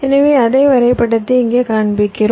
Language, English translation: Tamil, ah, here we show this graph, that same graph i had drawn